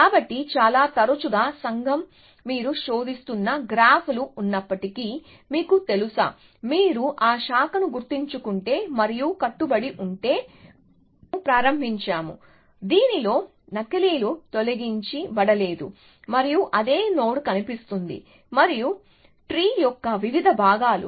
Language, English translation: Telugu, So, very often the community tends to even if you have a graphs from which you are searching, then you know, if you remember the branch and bound, we started off with, in which the duplicates were not remove and the same node would appear and different parts of the tree